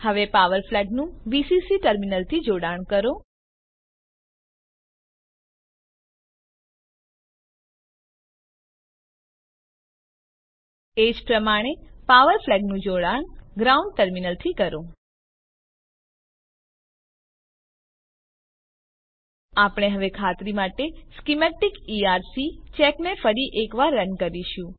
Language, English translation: Gujarati, Now connect the power flag to VCC terminal Similarly connect the power flag to the ground terminal We will now run the Schematic ERC check once again to confirm